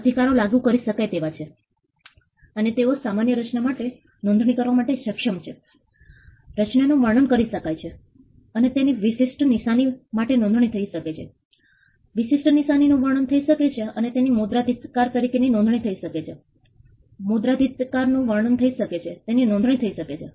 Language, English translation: Gujarati, So, rights they are enforceable and they are capable of being registered the same is for design, designs can be described and they can be registered as trademarks, Trademarks can be described and they can be registered as copyrights, Copyrights can be described and they can be registered